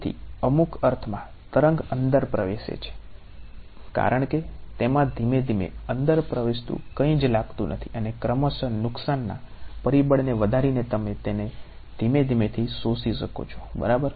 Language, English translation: Gujarati, So, the wave in some sense enters inside because there is it seems that there is nothing its slowly enters inside and by gradually increasing a loss factor you are able to gently absorb it ok